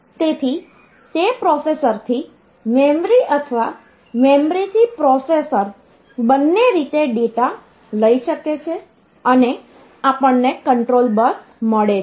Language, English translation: Gujarati, So, it can carry data in both the ways where from processor to memory or memory to processor and we have got the control bus